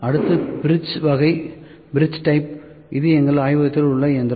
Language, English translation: Tamil, Next is bridge type is the machine that we have in our laboratory